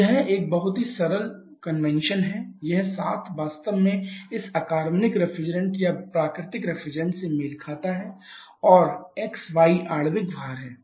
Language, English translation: Hindi, So, it is a very simple convention this 7 actually corresponds to this inorganic reference or natural refrigerants and xy is the molecular weight